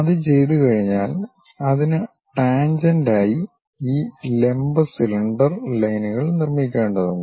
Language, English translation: Malayalam, Once it is done, tangent to that we have to construct this vertical cylinder lines